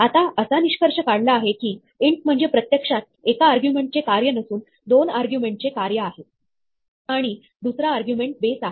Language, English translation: Marathi, Now, it turns out that, int is actually not a function of one argument, but two arguments; and the second argument is the base